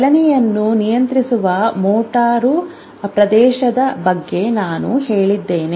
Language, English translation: Kannada, So I told you about the brain which is a motor area which controls the movement